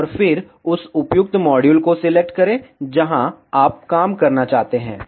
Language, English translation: Hindi, And then, select the appropriate module where you want to work